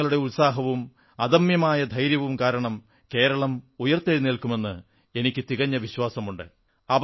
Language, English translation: Malayalam, I firmly believe that the sheer grit and courage of the people of the state will see Kerala rise again